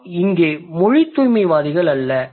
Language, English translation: Tamil, We are we do not we are not language purists here